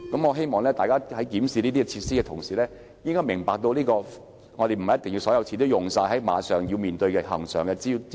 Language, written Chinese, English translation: Cantonese, 我希望大家在檢視這些設施時，應明白不是所有錢也要用於應付恆常支出。, I hope Members in reviewing these facilities can understand that not all the money should necessarily be spent on meeting regular expenses